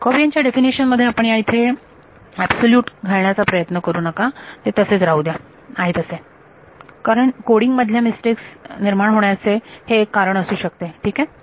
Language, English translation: Marathi, In the definition of Jacobian you should not try to put an absolute value over there let it be what it is that is the source of lots of coding mistakes fine